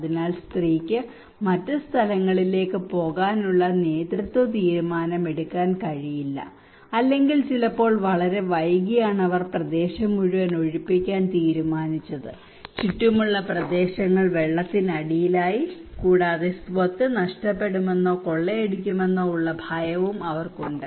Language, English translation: Malayalam, So the woman cannot take the leadership decision to go to other places or it was sometimes too late when they decided to evacuate entire area, surrounding areas were inundated with water, and they have also the loss fear of losing property or looting kind of questions